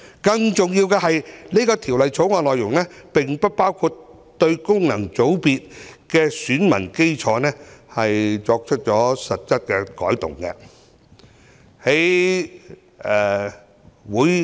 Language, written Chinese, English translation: Cantonese, 更重要的是，《條例草案》的內容並不包括對功能界別的選民基礎作出實質的改動。, These organizations not only lack representativeness but also run contrary to the original intent of establishing FCs . More importantly the Bill does not cover any substantial changes to the electorate of FCs